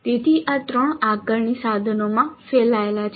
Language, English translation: Gujarati, So this is spread over 3 assessment instruments